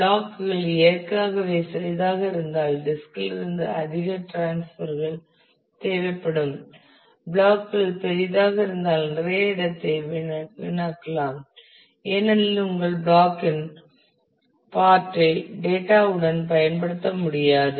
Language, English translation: Tamil, If the blocks are smaller than naturally will need more transfers from the disk if the blocks are larger then you might waste lot of space because your part of the block will not can be used with the data